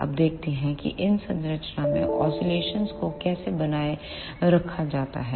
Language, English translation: Hindi, Now, let us see how oscillations are sustained in this structure